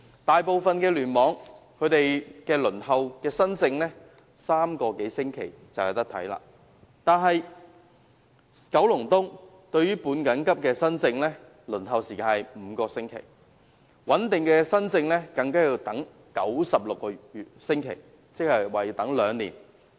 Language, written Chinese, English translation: Cantonese, 大部分聯網的新症輪候時間為3個多星期，但九龍東的半緊急新症輪候時間則為5個星期，穩定的新症更要輪候96個星期，即接近兩年。, While the waiting time for new case booking in most clusters is three weeks or so the waiting time for semi - urgent case booking in the Kowloon East Cluster is five weeks . What is more the waiting time for stable new case booking is 96 weeks or nearly two years